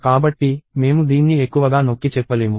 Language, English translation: Telugu, So, I cannot emphasize this more